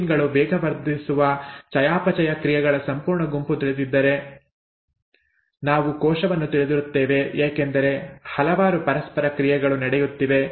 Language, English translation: Kannada, If you know the complete set of metabolic reactions that the proteins catalyse through and so on so forth, we know the cell because there are so many interactions that are taking place and so on